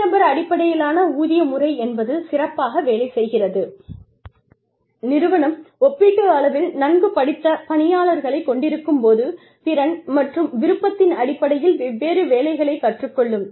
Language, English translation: Tamil, Individual based pay system, works best, when the firm has a relatively educated workforce, with both the ability and willingness, to learn different jobs